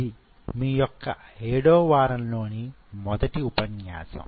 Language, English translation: Telugu, So, this is your week 7 lecture 1